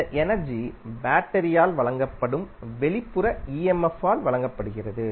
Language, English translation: Tamil, This energy is supplied by the supplied through the external emf that is provided by the battery